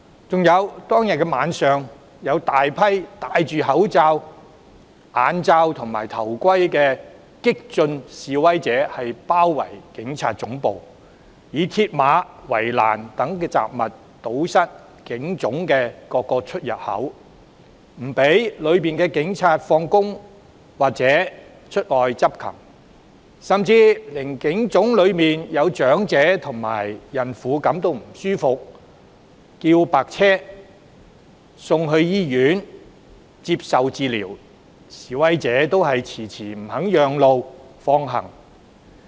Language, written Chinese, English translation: Cantonese, 此外，當天晚上更有大批戴口罩、眼罩、頭盔的激進示威者包圍警察總部，以鐵馬、圍欄等雜物堵塞警總各個出入口，阻止大樓內的警員下班或出外執勤，甚至連警總內有長者及孕婦感到不適，希望召喚救護車送院接受治療，示威者也遲遲不肯讓路放行。, Moreover in the evening that day large groups of radical protesters clad in face masks goggles and helmets besieged the Police Headquarters and blocked the various entrances of the building with such objects as mills barriers and fences . As well as preventing the police officers inside the building from getting off work or performing their duties out of office protesters even dawdled before giving way to an ambulance called in to pick up some elderly persons and pregnant women in the Police Headquarters who had fallen ill and needed hospital treatment